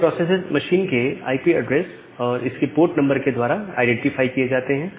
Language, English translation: Hindi, So, these process system are identified the IP address of the machine plus a port number